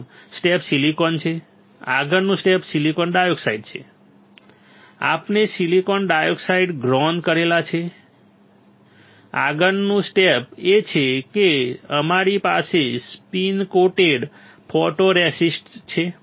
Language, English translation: Gujarati, S ee first step is silicon, next step is silicon dioxide we have grown silicon dioxide, next step is we have spin coated photoresist